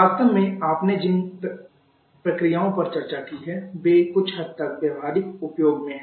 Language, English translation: Hindi, In fact, the other processes that you have discussed all are in practical use to some degree